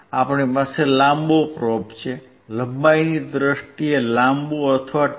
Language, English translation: Gujarati, We have a longer probe, longer in terms of length or shorter one